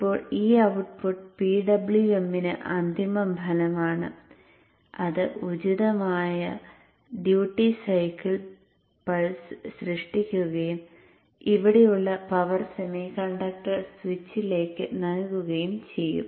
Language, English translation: Malayalam, Now this output is finally fed to the PWM which will generate the appropriate duty cycle pulse and give it to the power semiconductor switch here